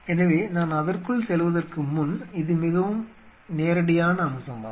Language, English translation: Tamil, So, before I get into that, so this is of course, a very direct aspect